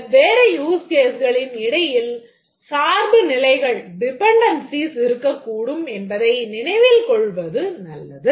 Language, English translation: Tamil, But it's good to remember that there can exist dependencies between different use cases